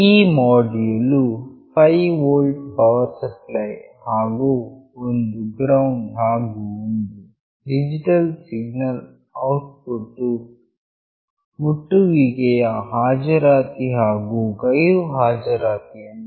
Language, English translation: Kannada, The module has a 5 volt power supply and a ground, and a digital signal output that indicates the presence or absence of the touch